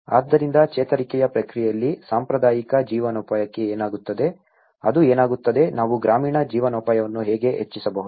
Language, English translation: Kannada, So, in the recovery process what happens to the traditional livelihoods, what happens to that, how we can enhance the rural livelihoods